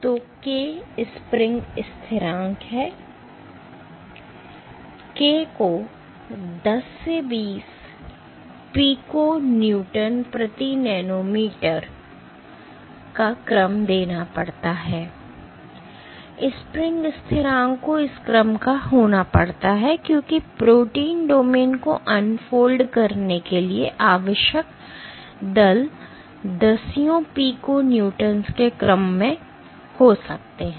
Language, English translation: Hindi, So, k the spring constant k has to be order 10 to 20 piconewton per nanometer, the spring constant has to be of this order, because the forces required for unfolding a protein domain might be of the order of tens of piconewtons